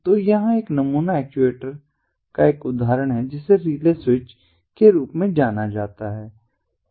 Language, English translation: Hindi, so here is, here is an example ah of a sample actuator which is known as the relay switch